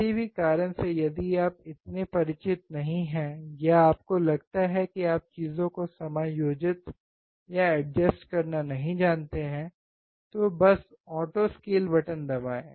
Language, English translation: Hindi, In case out of any reason you are not so familiar or you feel that you don’t know how to adjust the things, just press auto scale button if there is one on your oscilloscope